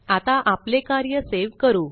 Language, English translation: Marathi, Let us save our work now